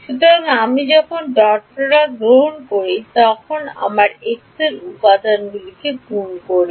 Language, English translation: Bengali, So, when I when I take dot product means I multiply the x components you will have y squared